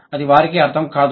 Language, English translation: Telugu, They don't understand